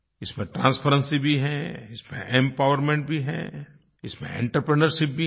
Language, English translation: Hindi, This has transparency, this has empowerment, this has entrepreneurship too